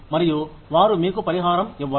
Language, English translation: Telugu, And, they will not compensate you, for it